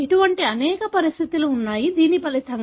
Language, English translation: Telugu, There are many such conditions, which results